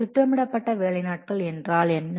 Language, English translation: Tamil, What is the planned work days